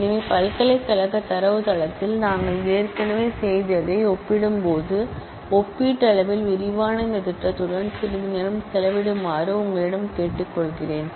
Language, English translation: Tamil, So, with this I would request you to spend some time with this relatively elaborated schema compared to what we have done already of the university database